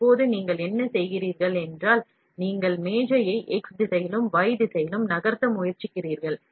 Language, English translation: Tamil, So, what you get out is a constant diameter and now what you do is, you try to move the table in x direction and y direction